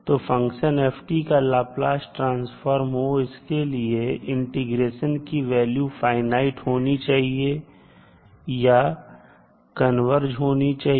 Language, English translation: Hindi, So, in order for ft to have a Laplace transform, the integration, the integral what we saw here should be having a finite value or it will converge